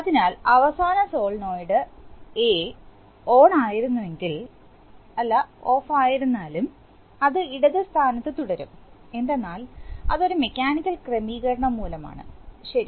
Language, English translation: Malayalam, So, if last of the solenoid A was ON then it will, even if you take A off, it is going to remain at the left position, so that is due to a mechanical, you know arrangement, so that is, that is the tension, okay